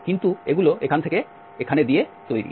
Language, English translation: Bengali, But, these are made of from here to here